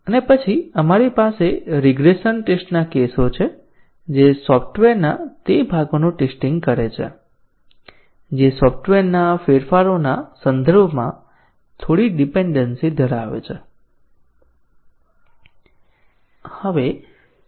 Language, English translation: Gujarati, And then we have the regression test cases which test those parts of the software which have some dependency with respect to the changes software